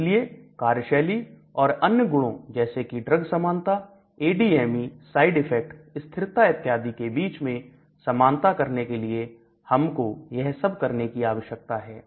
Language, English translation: Hindi, So it is like a balance between activity versus other properties like drug lightness, ADME, toxicity, side effects, stability, all these things